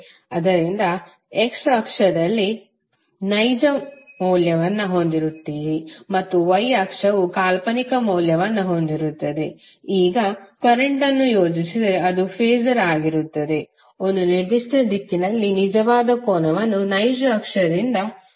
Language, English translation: Kannada, So you will have the x axis you will have real value and the y axis you will have imaginary value and if you plot current so it will be Phasor will be in one particular direction making Phi angle from real axis